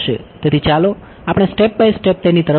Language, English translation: Gujarati, So, let us come to it step by step